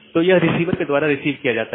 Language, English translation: Hindi, So, it is received by the receiver